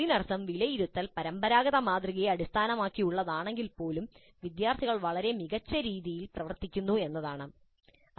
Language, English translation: Malayalam, That means even if the assessment is based on the traditional model, the students seem to be doing extremely well